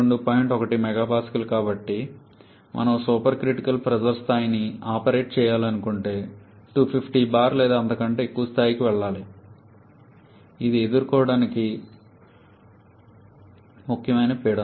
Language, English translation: Telugu, 1 mega Pascal so if we want to operate the supercritical pressure level we have to go to something like 250 bar or even higher which is a significant pressure to deal with